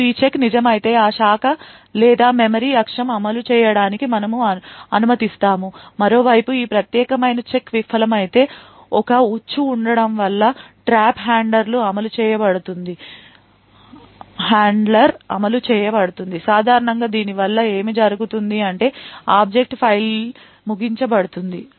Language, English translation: Telugu, Now if this check holds true then we permit the execution of that branch or memory axis, on the other hand if this particular check fails then there is a trap and a trap handler is executed typically what would happen is that the object file would terminate